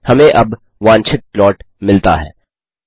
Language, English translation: Hindi, We get the desired plot now